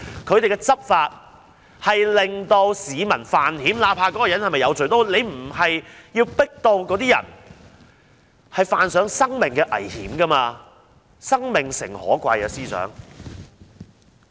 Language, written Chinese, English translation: Cantonese, 警方的執法令市民犯險，不論那些人是否有罪，警方也不應壓迫他們致令他們要以身犯險，司長，生命誠可貴。, The law enforcement actions of the Police have caused the public to risk their lives . Regarding these people whether or not they have committed crimes the Police should not press them to the extent that they cannot but risk their lives . Chief Secretary life is precious